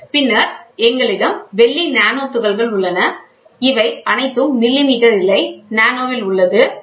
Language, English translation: Tamil, Then we have silver nanoparticles, then we have these are all in nano not millimeter nano, ok